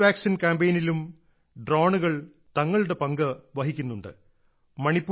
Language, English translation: Malayalam, Drones are also playing their role in the Covid vaccine campaign